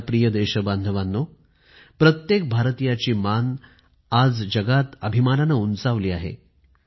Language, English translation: Marathi, My dear countrymen, every Indian today, is proud and holds his head high